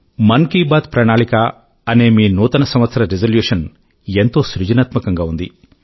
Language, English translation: Telugu, The Mann Ki Baat Charter in connection with your New Year resolution is very innovative